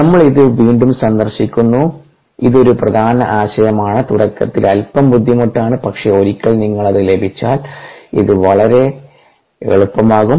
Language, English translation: Malayalam, we are revisiting this is an important concept, little difficult appreciate in the beginning, but once you get the hang of it this becomes very powerful